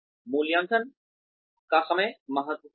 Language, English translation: Hindi, The timing of the appraisal is critical